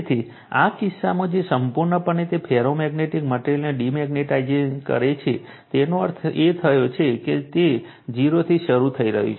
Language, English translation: Gujarati, So, in this case, what will happen that you have completely you are what we called demagnetize that ferromagnetic material, so that means, it is starting from 0